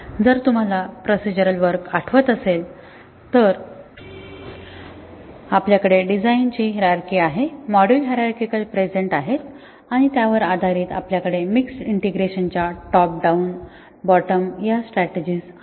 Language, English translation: Marathi, If you remember in a procedural program, we had a design hierarchy, the modules are present hierarchically and based on that we have top down bottom of mixed integration strategies